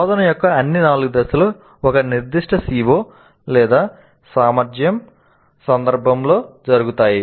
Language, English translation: Telugu, All the four phases of instruction occur in the context of one specific CO or competency